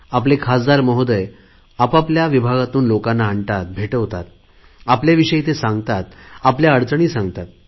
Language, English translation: Marathi, Our MPs also bring people from their constituencies and introduce them to me; they tell me many things, their difficulties also